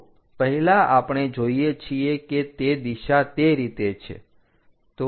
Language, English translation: Gujarati, So, first we see that the direction is in that way